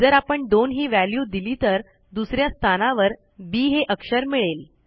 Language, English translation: Marathi, If I give the value two it would say B in position 2